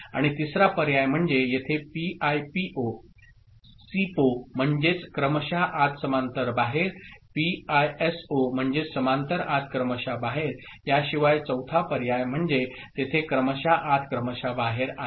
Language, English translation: Marathi, And the third option is the fourth option here other than PIPO, SIPO, PISO parallel in serial out here serial in parallel out there is serial in, serial out